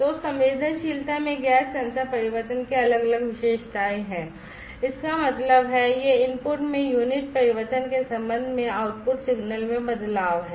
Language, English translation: Hindi, So, there are different characteristics of the gas sensor changes in the sensitivity; that means, it is the change in the output signal, with respect to the unit change in the input